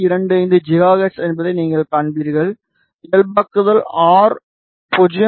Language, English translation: Tamil, 25 gigahertz the normalize r is 0